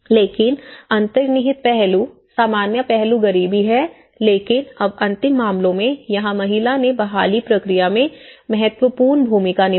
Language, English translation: Hindi, But the underlying aspect, common aspect is the poverty but now in the last cases here woman played an important role in the recovery process